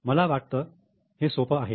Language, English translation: Marathi, I think it is very simple